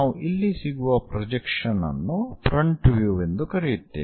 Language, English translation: Kannada, So, this one whatever the projection one we call as front view here